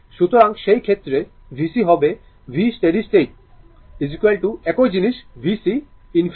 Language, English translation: Bengali, So, in that case v c will be v steady state is equal to same thing v c infinity